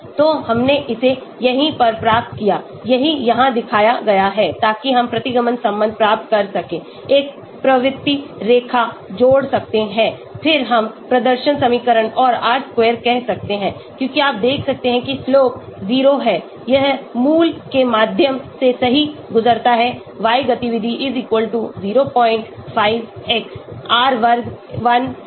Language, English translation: Hindi, So we got it here right, that is what is shown here so we can get the regression relationship, add a trend line then we can say display equation and R square as you can see the slope is 0, it passes right through the origin and y activity=0